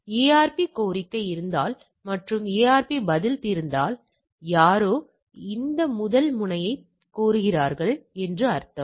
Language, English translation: Tamil, So, ARP so if there is a ARP request ARP response with these, so somebody requesting this first terminal that what is your physical address